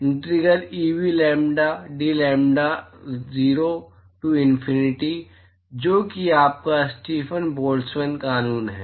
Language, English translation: Hindi, Integral Eb,lambda dlambda 0 to infinity that is your Stefan Boltzmann law